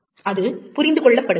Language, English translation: Tamil, It is understood